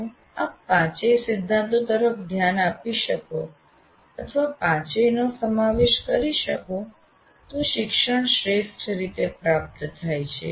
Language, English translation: Gujarati, If you are able to pay attention or incorporate all the principles, all the five principles, then learning is best achieved